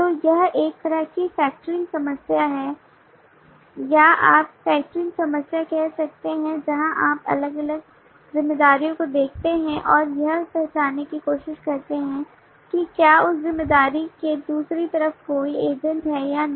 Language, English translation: Hindi, so this is kind of a factoring problem or you can say refactoring problem where you look into the different responsibilities and try to identify that if there is some agent on the other side of that responsibility